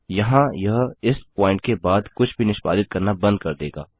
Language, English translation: Hindi, Here it will just stop executing anything after this point, after this function is called